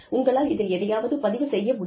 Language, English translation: Tamil, You can actually record something